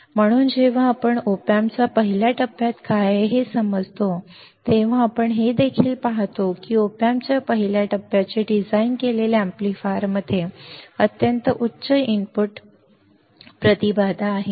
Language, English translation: Marathi, So, when we understand what is there in the first stage of op amp, you will also see that the amplifier that is design the first stage of op amp has extremely high input impedance